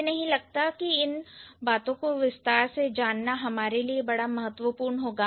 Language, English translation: Hindi, I don't think there is much important for us to know these things in detail